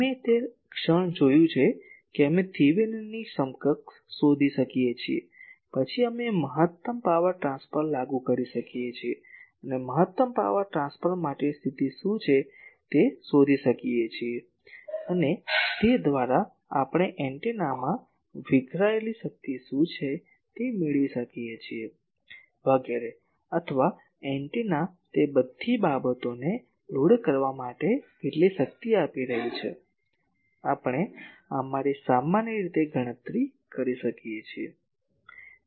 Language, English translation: Gujarati, We have seen the moment to have found that we can found Thevenin’s equivalent, then we can apply maximum power transfer and you can find out what is the condition for maximum power transfer and, by that we can have what is the power dissipated in the antenna etc